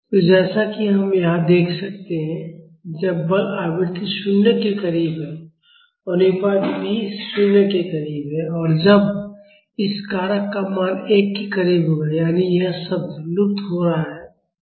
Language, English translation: Hindi, So, as we can see here, when the forcing frequency is close to 0; the ratio is also close to 0 and that’s when this factor will have a value close to 1; that means, this term is vanishing